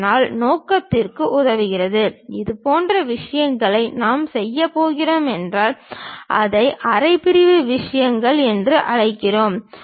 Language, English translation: Tamil, Thus, also serves the purpose; such kind of things if we are going to do, we call that as half section things